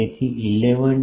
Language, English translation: Gujarati, So, started 11